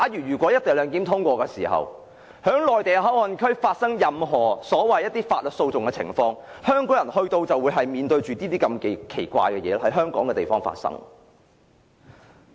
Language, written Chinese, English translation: Cantonese, 如果"一地兩檢"獲得通過，在面對於內地口岸區發生的任何法律訴訟時，香港人便要面對這些奇怪事情在香港境內發生。, If the co - location arrangement is endorsed Hong Kong people will have to face all such weird things within Hong Kongs territory should any MPA - related lawsuit arise